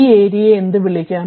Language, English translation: Malayalam, It is area is what you call